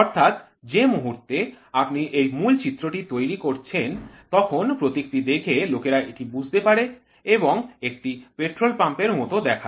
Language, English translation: Bengali, So, moment you have this centre image made then by looking at the symbol people understand, this looks like a petrol pump